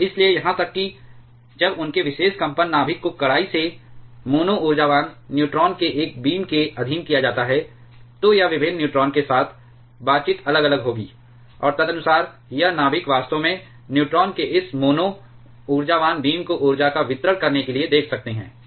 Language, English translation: Hindi, And therefore, even when their particular vibrating nucleus is subjected to a beam of strictly mono energetic neutron, it's interaction with different neutrons will be different, and accordingly this nucleus actually see this mono energetic beam of neutron to have a distribution of energy